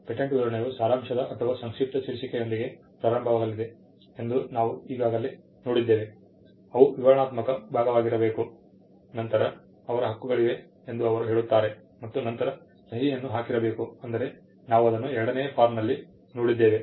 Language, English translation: Kannada, We had already seen that the patent specification shall start with the title they shall be an abstract, they shall be a descriptive part, then they say there shall be claims and then they shall be the signature I mean we saw that in the form 2